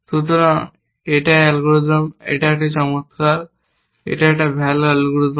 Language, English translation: Bengali, So, is this algorithm, is it nice, is it a good algorithm